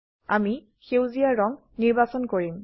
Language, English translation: Assamese, I will select green colour